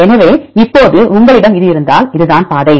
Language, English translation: Tamil, So, now if you have this one; this is the path